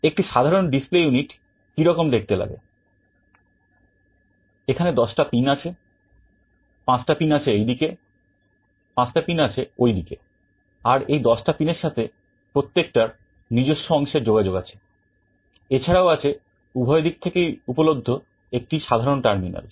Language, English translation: Bengali, A typical display unit looks like this; there are 10 pins, 5 on this side, 5 on the other side, and these 10 pins have connections to all the individual segments and also there is a common terminal, which is available on both the sides